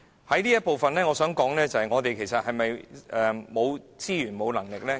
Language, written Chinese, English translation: Cantonese, 就這部分，我想說的是，政府是否沒有資源和能力呢？, Concerning this part what I wish to say is Does the Government lack resources or capability? . The answer is in the negative